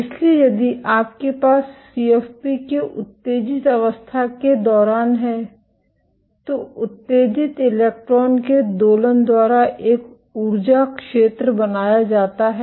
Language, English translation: Hindi, So, for if you have during the lifetime of excited state of CFP, an energy field is created gets created by oscillation of the excited electron